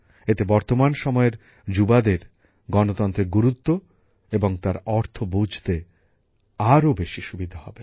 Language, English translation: Bengali, This will make it easier for today's young generation to understand the meaning and significance of democracy